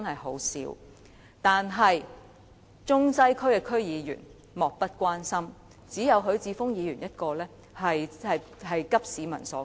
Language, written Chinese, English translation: Cantonese, 可是，中西區區議員卻莫不關心，只有許智峯議員一人急市民所急。, However members of the Central and Western District Council are indifferent about this . Only Mr HUI Chi - fung cares about the needs of the public